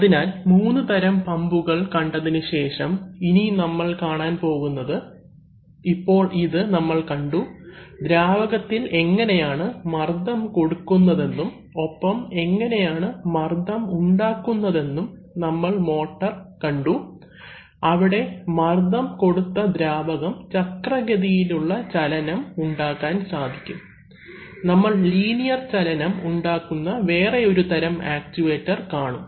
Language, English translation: Malayalam, So having seen these three kinds of pumps, we would take a look at, now we will take a look at, now this, we have seen that, how the fluid is pressurized and pressurized will be generated, we have also seen the motor, which, where the pressurized fluid can be, can create a rotational motion, we will see another kind of actuator where it creates linear motion